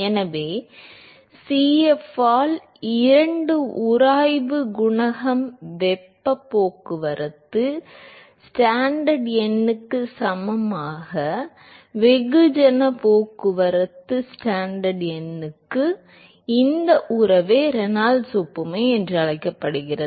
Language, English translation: Tamil, So, this relationship that Cf by 2, friction coefficient equal to the heat transport Stanton number equal to the mass transport Stanton number is what is called as the Reynolds analogy